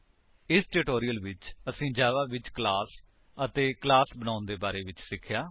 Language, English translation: Punjabi, So, in this tutorial, we learnt about the class in java and how to create a class in java